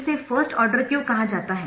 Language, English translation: Hindi, so what is it that makes this first order